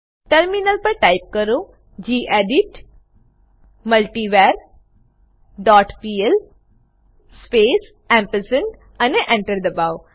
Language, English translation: Gujarati, onTerminal type gedit multivar dot pl space ampersand and press Enter